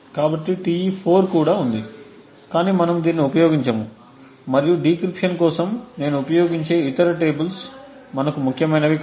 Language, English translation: Telugu, So, Te4 is also present but we will not be using this and the other tables I use for decryption which is not going to be important for us